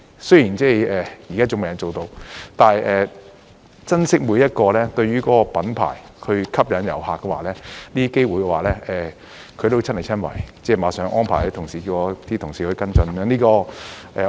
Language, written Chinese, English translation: Cantonese, 雖然現在尚未能夠做到，但他珍惜每一個能幫忙這個品牌吸引遊客的機會，都會親力親為，並已立刻安排他的同事與我的同事跟進。, This has yet to be done but he cherishes every single opportunity to help the brand to attract tourists and is hands on in whatever he does . He assigned his colleagues to follow up with mine right away